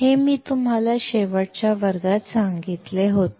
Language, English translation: Marathi, This what I had told you in the last class